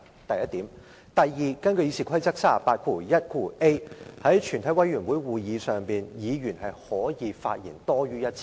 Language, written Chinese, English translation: Cantonese, 第二，根據《議事規則》第 381a 條，在全體委員會會議上，委員可以發言多於1次。, Secondly according to Rule 381a of the Rules of Procedure RoP a Member can speak more than once in the committee of the whole Council